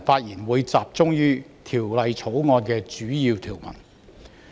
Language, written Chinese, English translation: Cantonese, 我會集中討論《條例草案》的主要條文。, I will focus on discussing the major provisions of the Bill